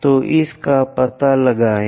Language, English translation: Hindi, So, locate this 1